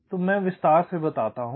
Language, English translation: Hindi, so let me just illustrate